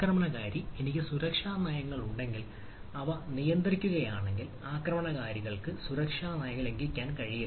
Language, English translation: Malayalam, so attacker, if i have the security policies, if it is restricts that thing attackers should be, should not be able able to violate the security policies